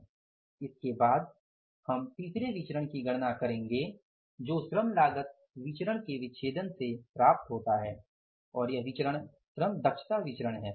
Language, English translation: Hindi, After this we will calculate the third variance as the dissection of the labor cost variance and this variance is the LEV labor efficiency variance